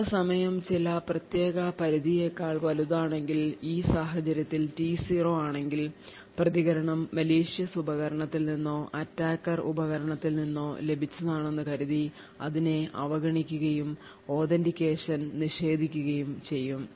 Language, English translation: Malayalam, Now if the time taken is greater than some particular threshold in this case T0, then it is assumed that the response is obtained from malicious device or from an attacker device and is ignored and no authentication is done